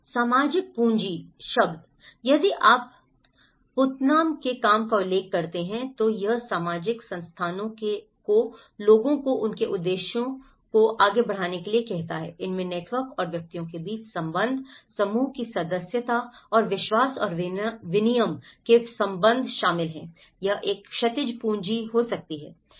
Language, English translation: Hindi, The term social capital; if you refer to Putnam's work on, it says the social resources which people draw upon to pursue their objectives, these comprise networks and connections between individuals, membership of groups and relationships of trust and exchange, it could be a horizontal capital, it could be a vertical capital, it could be a network within a group, it could be across groups